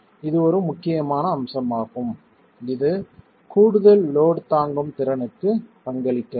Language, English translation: Tamil, So that is one important aspect that does contribute to additional load carrying capacity